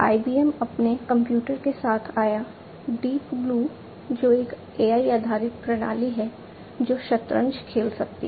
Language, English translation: Hindi, IBM came up with their computer, the Deep Blue, which is a AI based system which can play chess